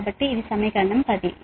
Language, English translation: Telugu, so this is equation ten